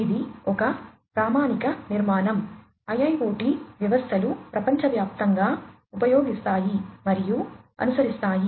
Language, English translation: Telugu, So, this is sort of a standard architecture that IIoT systems globally tend to use and tend to follow